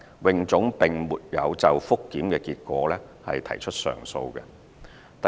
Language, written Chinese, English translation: Cantonese, 泳總並沒有就覆檢結果提出上訴。, HKASA did not file an appeal on the results of the review